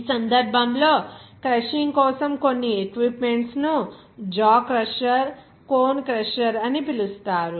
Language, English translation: Telugu, In this case, some equipment for the crushing can be referred as crusher that called jaw crusher, cone crusher etc